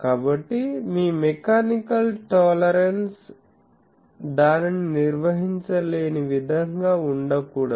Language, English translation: Telugu, So, that should not be such that your mechanical tolerance would not be able to handle that